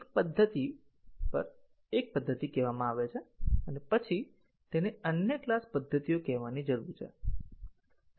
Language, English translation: Gujarati, A method is called on one class and then it needs to call other class methods